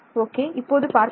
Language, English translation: Tamil, Ok, so let us see